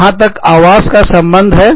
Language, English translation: Hindi, As far as, say, housing is concerned